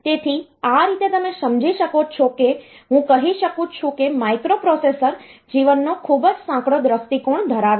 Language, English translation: Gujarati, So, that way you can some sense I can say that the microprocessor has a very narrow view of life